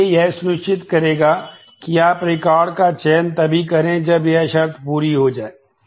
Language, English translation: Hindi, So, this will ensure that you select the records only when this condition is satisfied